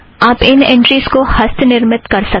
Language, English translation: Hindi, You can manually create these entries